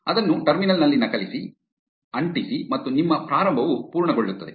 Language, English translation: Kannada, Copy, paste it in the terminal and your initialization will be complete